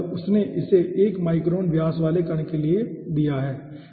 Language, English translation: Hindi, he has given this 1 for particle diameter, 1 micron